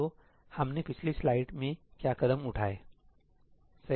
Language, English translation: Hindi, So, what are the exact steps we saw that on the previous slide, right